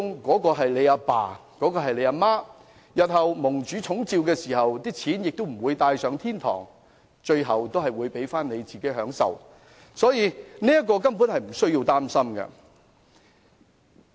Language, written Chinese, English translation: Cantonese, 我們的父母日後如蒙主寵召，他們不能把錢帶上天堂，最後還是留給子女享受，為人子女者根本無須擔心。, When our parents are called back by God they cannot bring their money with them to heaven but leave it all to their children . Hence we have nothing to worry about